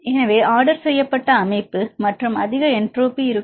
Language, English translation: Tamil, So, we comparing the ordered system and the disorder system which will have high entropy